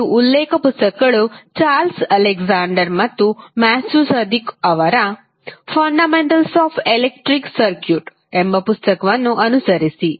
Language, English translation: Kannada, The reference books which you can follow are like Fundamentals of Electric Circuits by Charles Alexander and Matthew Sadiku